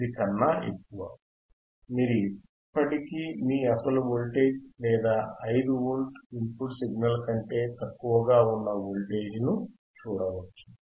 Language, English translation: Telugu, 9, you can still see voltage which is less than your original voltage or input signal which is 5 Volt